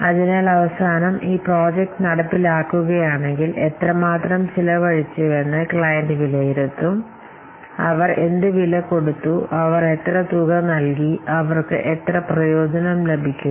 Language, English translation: Malayalam, So, because at the end, the client will assess this that after implementing this project, how much they have spent, what cost they have given, how much amount they have given, and how much benefit they are getting